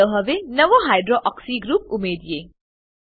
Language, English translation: Gujarati, Lets now add a new residue Hydroxy group